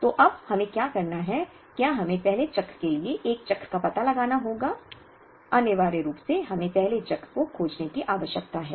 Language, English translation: Hindi, So, what we have to do now, is we have to first find out a cycle for the first cycle, essentially we need to find a first cycle